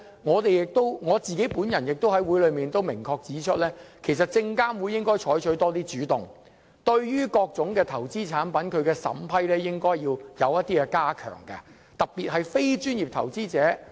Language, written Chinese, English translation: Cantonese, 我也在會議上明確指出，證監會應該多採取主動，加強對於各種投資產品的審批，特別是要保障非專業投資者。, I have also pointed out clearly in the meetings that SFC should be more proactive in strengthening the approval of various investment products and it is particularly important to protect non - professional investors